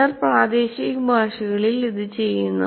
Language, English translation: Malayalam, Some of them they do it in local language